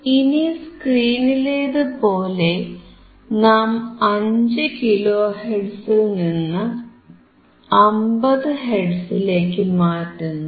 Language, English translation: Malayalam, Now, as we have seen on the screen that we were going to change from 5 kilohertz to 50 hertz